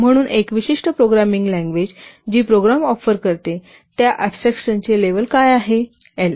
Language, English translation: Marathi, So a particular programming language, what is the level of abstraction it provides that is represented as program level L